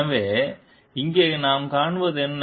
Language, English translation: Tamil, So, what we find over here